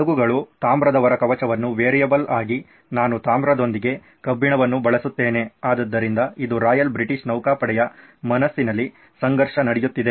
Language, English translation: Kannada, The ships copper hull as the variable, do I use iron with copper, so this is the conflict is going on in the Royal British Navy’s mind,